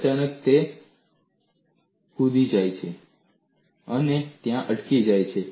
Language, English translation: Gujarati, Suddenly, it jumps and stops there